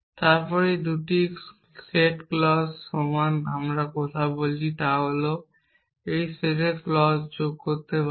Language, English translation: Bengali, Then 2 set of clauses are equal in other words what we are saying is that we can keep adding clauses to the set